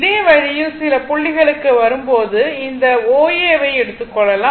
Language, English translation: Tamil, Now this way when it will come to some this point say this O A when it will come this O A will come here